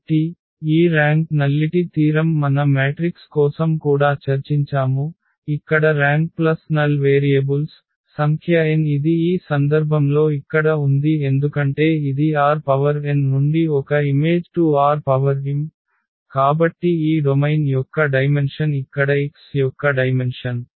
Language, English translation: Telugu, So, this rank nullity theorem we have also discussed for matrices where rank plus nullity was the number of variables n which is here in this case that is because this A maps from R n to R m; so that exactly the dimension of this domain here the dimension of X